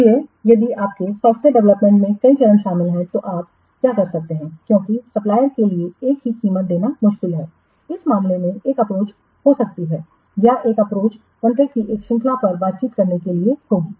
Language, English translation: Hindi, So, if your software development consists of many stages, then what you can do in the since it is difficult for the supplier to give a single price in this case one approach can be or one approach would be to negotiate a series of contracts